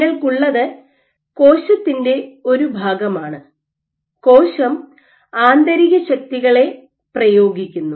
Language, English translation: Malayalam, So, what you have is a section of the cell, the cell is exerting internal forces